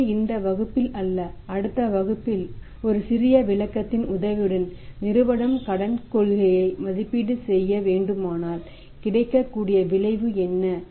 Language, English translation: Tamil, So, not in this class but in the next class with the help of a small illustration we would like to learn that if the firm has to evaluate the credit policy what is the process available what is the model available